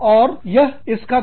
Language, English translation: Hindi, And, that can be a drawback in